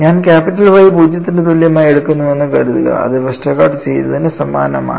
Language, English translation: Malayalam, Suppose I take capital Y equal to 0 which is very similar to what Westergaard did